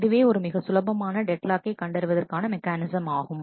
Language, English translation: Tamil, So, this is a simple deadlock detection mechanism